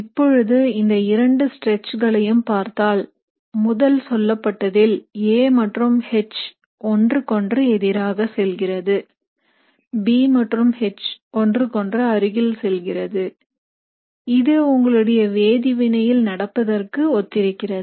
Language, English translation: Tamil, Now when you consider both these stretches, in the first case, essentially you have A and H going away from each other and B and H coming closer to each other, which is very similar to what is happening in your reaction